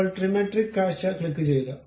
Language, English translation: Malayalam, Now, click the Trimetric view